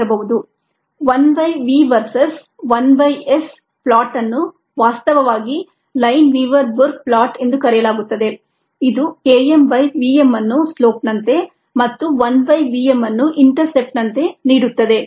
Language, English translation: Kannada, a plot of one by v verses, one by s, which is actually called the lineweaver burke plot, ah, gives us k m by v m as the slope and one by v m as the intercept from s verses t data